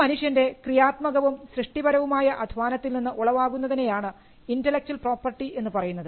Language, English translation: Malayalam, Now, intellectual property specifically refers to things that emanate from human creative labour